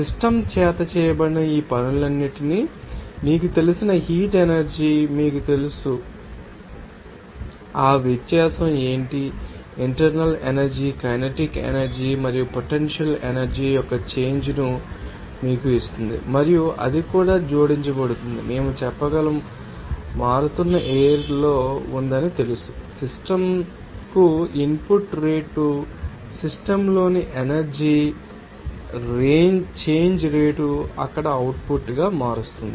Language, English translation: Telugu, This you know that the difference in that you know heat energy supplied all this work done by the system what is the difference that difference will give you that change of internal energy kinetic energy and potential energy and also we can say that that will be added to that you know that changing flow was so, input rate to the system will change the rate of change of energy in the system as an output there